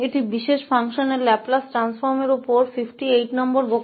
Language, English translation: Hindi, This is lecture number 58 on Laplace transform of Special Functions